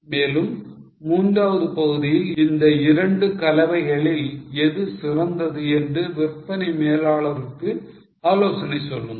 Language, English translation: Tamil, And in the third part, advise the sales manager as to which of the two mixes are better